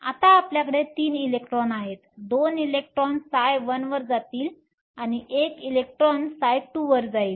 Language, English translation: Marathi, Now we have 3 electrons, 2 electrons will go to psi 1 and 1 electron will go to psi 2